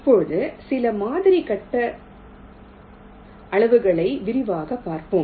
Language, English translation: Tamil, now lets take a quick look at some sample grid sizes